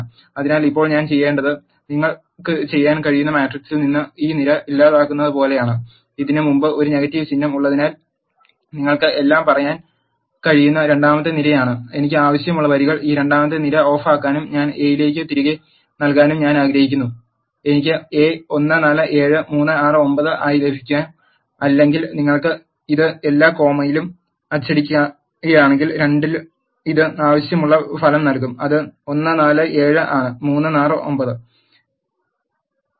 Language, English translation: Malayalam, So, now what I have to do is it is like eliminating this column from the matrix you can do so by having a negative symbol before this is the second column you can say all the rows I want and I want to take this second column off and if I assign it back to A, I will get A as 1 4 7 and 3 6 9 or if you just print this a of all comma minus 2 it will give the desired result which is 1 4 7 and 3 6 9